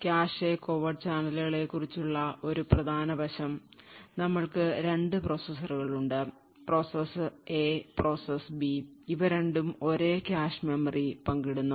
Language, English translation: Malayalam, So, the aspect about cache covert channels is that we have 2 processes; process A and process B and both are sharing the same cache memory